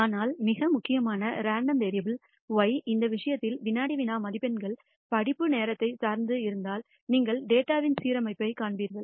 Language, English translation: Tamil, But more importantly if the random variable y, in this case the quiz marks has a dependency on the study time, then you will see an alignment of the data